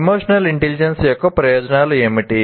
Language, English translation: Telugu, And what are the benefits of emotional intelligence